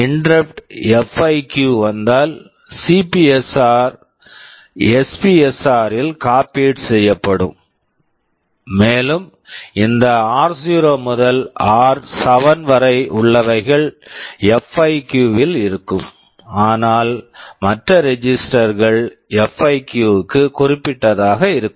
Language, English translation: Tamil, If interrupt FIQ comes then CPSR gets copied into this SPSR and this r0 to r7 will be there in FIQ, but the other registers will be specific to a FIQ